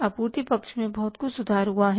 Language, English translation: Hindi, Supply side has improved like anything